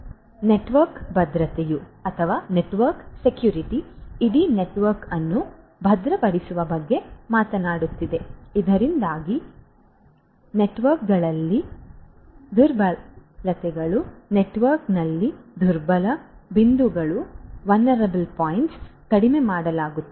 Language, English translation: Kannada, Network security talks about securing the entire network so that the vulnerabilities in the network, the vulnerable points in the network are minimized